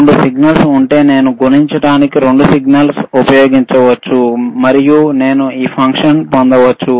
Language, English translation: Telugu, ifIf there are 2 signals, I can use 2 signals to multiply, and I can get that function